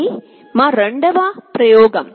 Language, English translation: Telugu, This is our second experiment